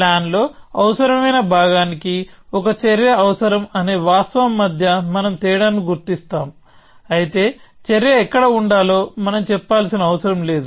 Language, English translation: Telugu, We sort of distinguish between the fact that an action is necessary for necessary part of the plan, but we do not necessarily say where the action should be, okay